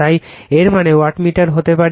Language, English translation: Bengali, So, that; that means, the wattmeter can be